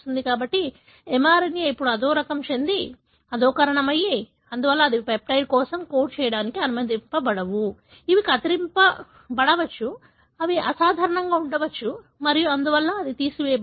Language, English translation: Telugu, So, the mRNA is now degraded, therefore they are not allowed to code for the peptide, which may be truncated, which may be abnormal and therefore they are removed